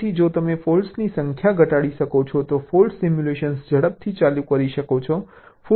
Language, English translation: Gujarati, so if you can reduce the number of faults, fault simulation can run faster